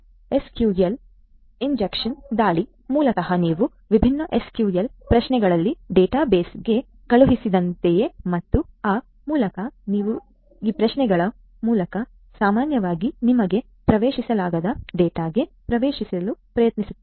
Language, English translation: Kannada, SQL injection attack basically is something like you know you sent different SQL queries to the database and they are there by you try to get in through those queries to the data that normally should not be made you know accessible to you